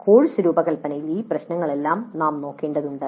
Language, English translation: Malayalam, So we need to look at all these issues in the course design